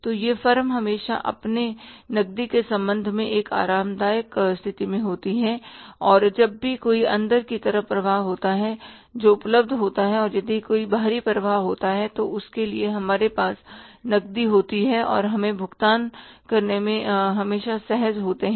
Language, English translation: Hindi, So, that firm is always in a comfortable position with regard to its cash and whenever there is any inflow that is available and if there is any outflow we have the cash for that and we are always comfortable in making the payments